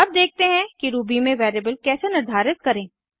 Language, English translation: Hindi, Now let us see how to declare a variable in Ruby